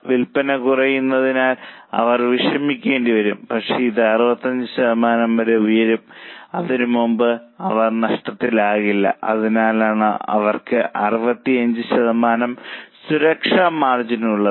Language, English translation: Malayalam, They will have to worry because sales are dropping, but it can go up to 65% before which they will not go in losses